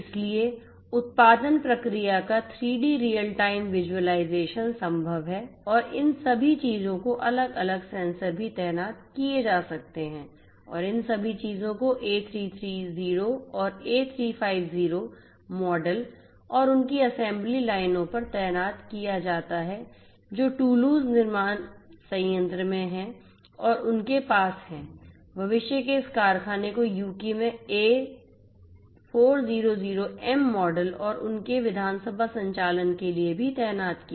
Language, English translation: Hindi, So, 3D real time visualization of the production process is possible and all of these things are also deployed different sensors and all of these things are deployed on the A330 and A350 models and their assembly lines which are there in the Toulouse manufacturing plant in plants and they have also deployed you know this factory of the future for the A400M model and their assembly operations in the UK